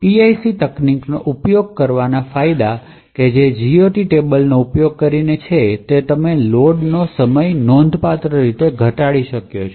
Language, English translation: Gujarati, So, the advantages of using PIC technique that is with using the GOT is that you have reduced the load time considerably